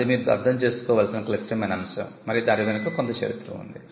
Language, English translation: Telugu, So, this is a critical point that you need to understand, and it has some history behind it